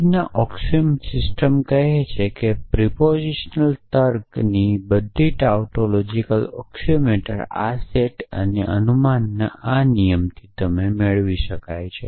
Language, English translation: Gujarati, So, Frege’s axiomatic system says that all tautologies of propositional logic can be derived from this set of axioms and this rule of inference